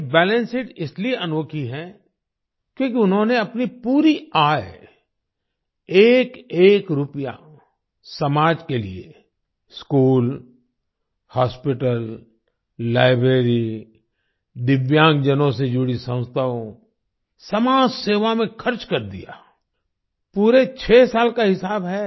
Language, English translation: Hindi, This Balance Sheet is unique because he spent his entire income, every single rupee, for the society School, Hospital, Library, institutions related to disabled people, social service the entire 6 years are accounted for